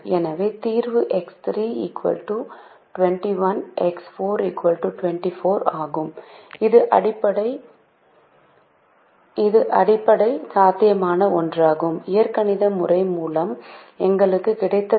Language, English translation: Tamil, therefore, the solution is x three equal to twenty one, x four equal to twenty four, which is one of the basic feasible solutions that we got through the algebraic method